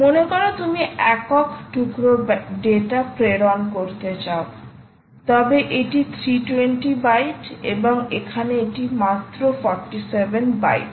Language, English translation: Bengali, suppose you want to send, right, if you want to send single piece of data, this is three hundred and twenty bytes and here it is just forty seven bytes